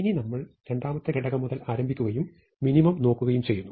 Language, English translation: Malayalam, So, now, we start from the second element onwards and look for the minimum